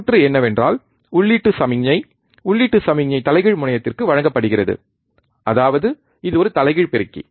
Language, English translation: Tamil, The circuit is that the input signal, the input signal is given to inverting terminal right; that means, it is an inverting amplifier